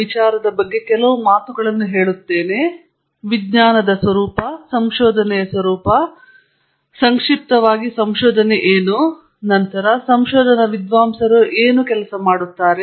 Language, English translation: Kannada, About the nature of science, nature of research, just briefly what drives research, then what do research scholars work on